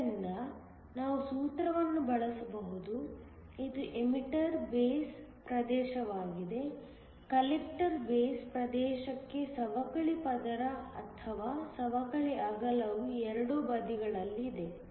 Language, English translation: Kannada, So, then we can use the formula; this is the emitter base region; for the collected base region, the depletion layer or the depletion layer or depletion width is on both sides